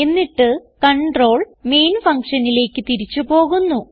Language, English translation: Malayalam, Then the control jumps back to the Main function